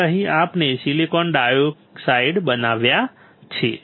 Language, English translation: Gujarati, So, here the we have etched silicon dioxide